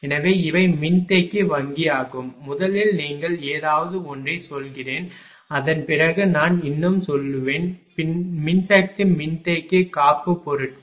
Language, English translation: Tamil, So, these are capacitor bank actually that your first let me tell you something then something more I will tell that power capacitors